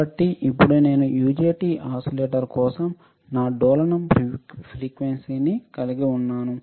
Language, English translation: Telugu, So, now I have my oscillating frequency for UJT oscillator